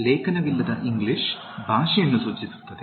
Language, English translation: Kannada, English without the article refers to the language